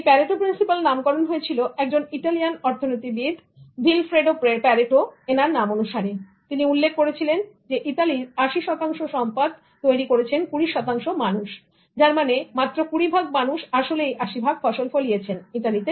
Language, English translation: Bengali, Parato principle is named after the Italian economist Wilfredo Pareto, who noted that 80% of the property in Italy was owned by 20% people, which means only 20% of the people were actually amassing 80% of the land in Italy